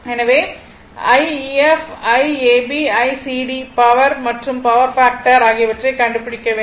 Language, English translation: Tamil, So, you have to find out I ef, I ab, I cd, power and power factor